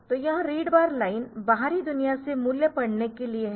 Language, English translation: Hindi, So, this read bar line so, for reading the value from the outside world